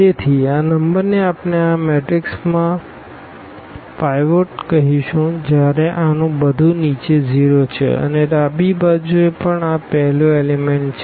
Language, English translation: Gujarati, So, this number we will call pivot in this matrix when everything below this is 0 and also the left this is the first element